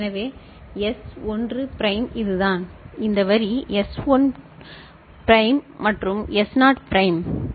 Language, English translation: Tamil, So, S1 prime is this one, this line is S1 prime and S naught prime ok